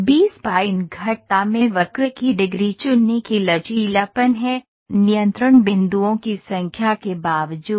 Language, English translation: Hindi, The B spline curve have the flexibility of choosing the degree of curve, irrespective of number of control points